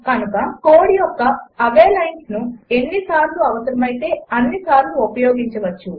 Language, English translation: Telugu, Thus the same lines of code can be used as many times as needed